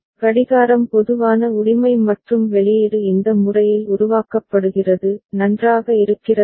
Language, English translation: Tamil, Clock is common right and the output is generated in this manner; is it fine ok